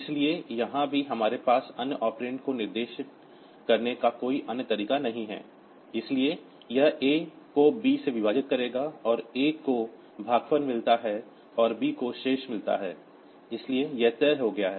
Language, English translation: Hindi, So, here also we do not have any other way to specify other operands, so it will divide A by B, and A gets the quotient and B gets the remainder so that is fixed